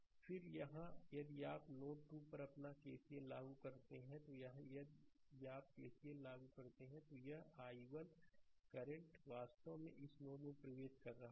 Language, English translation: Hindi, Then here if you to apply your KCL at node 3, here, if you apply KCL, then this i 1 current actually entering into this node right